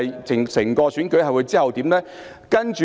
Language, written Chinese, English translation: Cantonese, 整個選舉有何後續發展呢？, What are their follow - up arrangements for the whole election?